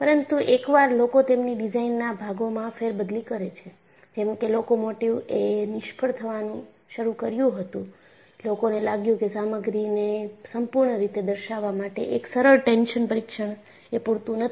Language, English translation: Gujarati, But once people had moving parts in their design, like locomotive started failing, people felt a simple tension test is not sufficient to characterize the material completely